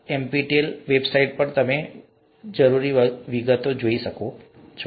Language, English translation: Gujarati, You can look at the details in the NPTEL website